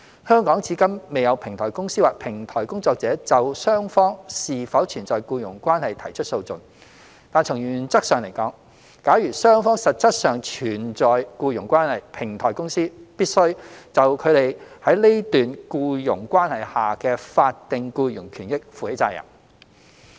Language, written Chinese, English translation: Cantonese, 香港至今未有平台公司或平台工作者就雙方是否存在僱傭關係提出訴訟，但從原則上來說，假如雙方實質上存在僱傭關係，平台公司必須就他們在該段僱傭關係下的法定僱傭權益負起責任。, There is yet to be any case filed by platform companies or platform workers in Hong Kong concerning whether an employment relationship exists between the two parties . But in principle if an employment relationship does exist between them the platform company concerned must be responsible for its employees statutory employment rights and interests under the employment relationship